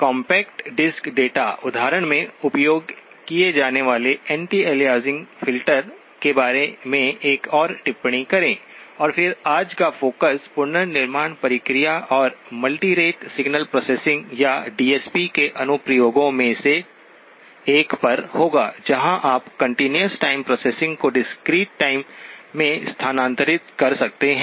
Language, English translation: Hindi, Make another comment about the anti aliasing filter used in the compact disc data example, and then today's focus will be on the reconstruction process and one of the applications of multirate signal processing or of DSP in general where you can move the continuous time processing into the discrete time